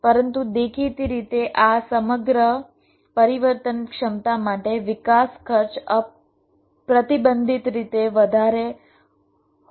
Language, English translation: Gujarati, but obviously, for this entire flexibility to happen, the development cost can be prohibitively high